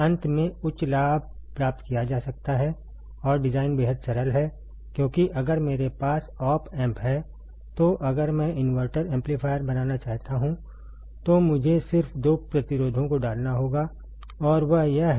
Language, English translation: Hindi, Finally, higher gain can be obtained and design is extremely simple, design is extremely simple why because if I have op amp if I may want to make inverting amplifier I have to just put two resistors and that is it